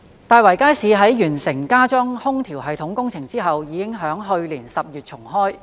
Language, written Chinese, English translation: Cantonese, 大圍街市在完成加裝空調系統工程後已於去年10月重開。, Tai Wai Market reopened in October last year upon completion of the works for retrofitting an air - conditioning system